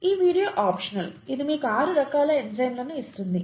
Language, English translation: Telugu, This video, this is optional clearly this gives you the six types of enzymes